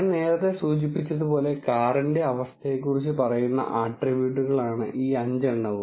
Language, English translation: Malayalam, And I as I mentioned earlier this 5 are the attributes that tells about the condition of the car